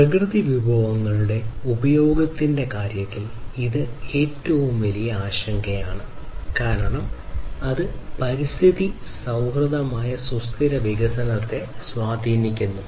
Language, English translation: Malayalam, So, in terms of consumption of natural resources this is one of the very biggest concerns, because that has impact on the sustainable development which is environment friendly